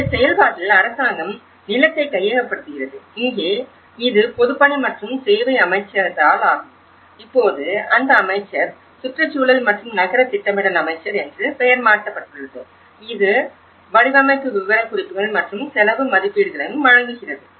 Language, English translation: Tamil, In this process, the government acquires land and here it is Ministry of Public Works and Services also, the minister now, it has been renamed; Minister of Environment and Urban Planning also provides design specifications and also the cost estimations